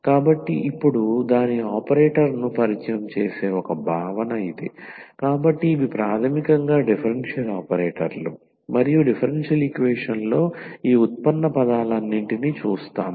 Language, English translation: Telugu, So, one concept which will introduce now its operator, so these are the basically the differential operators and in our differential equation we do see all these derivative terms